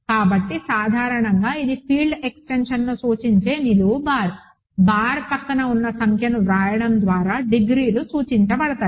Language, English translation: Telugu, So, usually it is the degrees are denoted by just writing the number next to the vertical bar, bar which represents the field extension